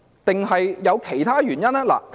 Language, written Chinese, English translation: Cantonese, 還是有其他原因？, Or are there some other reasons?